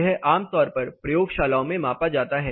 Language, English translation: Hindi, It is commonly measured in laboratories